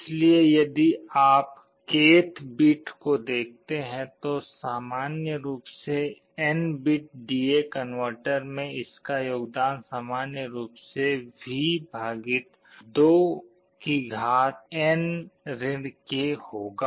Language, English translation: Hindi, So, for N bit D/A converter in general if you look at the k th bit, the contribution will be V / 2N k in general